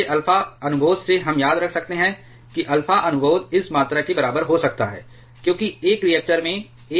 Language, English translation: Hindi, From your alpha prompt can we remember alpha prompt can roughly be equated to this quantity as a k remains close to one in reactors